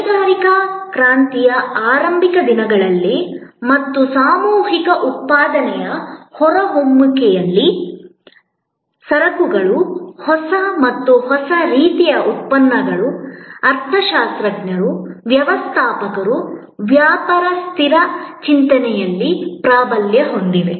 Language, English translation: Kannada, In the hay days, in the early days of industrial revolution and emergence of mass manufacturing, goods newer and newer types of products dominated the thinking of economists, managers, business people